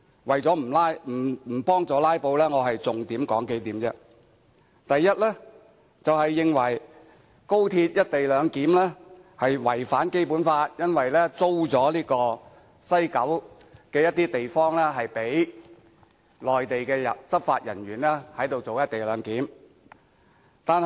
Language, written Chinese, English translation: Cantonese, 為了不幫助"拉布"，我只說出數項重點：第一，認為高鐵"一地兩檢"違反《基本法》，因為香港將租出西九部分地方，讓內地執法人員執行"一地兩檢"。, I will just briefly summarize the main points mentioned by them lest I will incidentally facilitate their filibuster . First they consider the XRL co - location process a violation of the Basic Law because under the arrangement Hong Kong will lease an area in West Kowloon to the Mainland allowing Mainland law enforcement officers to carry out co - location on site